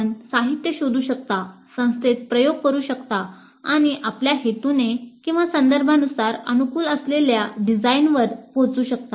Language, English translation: Marathi, You can search the literature, you can experiment in the institute and arrive at the design which best suits your purposes, your context